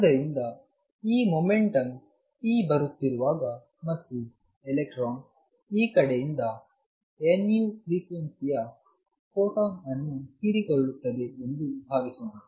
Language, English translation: Kannada, So, when this momentum p is coming in and suppose the electron absorbs a photon of frequency nu from this side